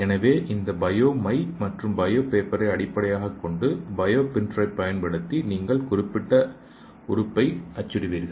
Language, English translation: Tamil, So based on this bio ink and bio paper you will print the particular organ using the bio printer